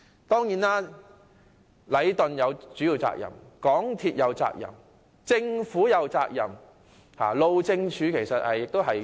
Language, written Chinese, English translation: Cantonese, 當然，禮頓有主要責任，港鐵公司有責任，政府其實也有責任。, Of course while Leighton should bear most of the responsibility and MTRCL should also be held responsible the Government actually also to take the blame